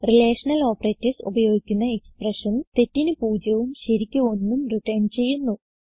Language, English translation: Malayalam, Expressions using relational operators return 0 for false and 1 for true